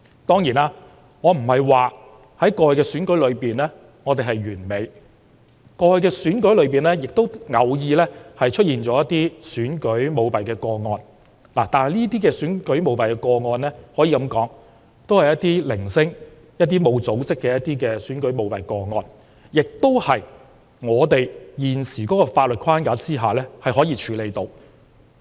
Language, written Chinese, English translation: Cantonese, 當然，我並非說過去的選舉過程完美，過去的選舉過程中偶然也會出現選舉舞弊的個案，但這些選舉舞弊個案都是零星、沒有組織的，亦是香港在現行的法律框架下可以處理的。, Of course I am not saying that past elections were perfect as occasionally there were cases of electoral fraud but such cases were sporadic and unorganized and could be handled under the prevailing legal framework in Hong Kong